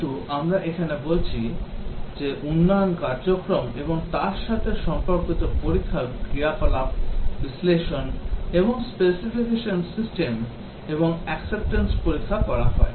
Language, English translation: Bengali, As we are saying the development activity and the corresponding test activity here, analysis and specification system and acceptance testing is carried out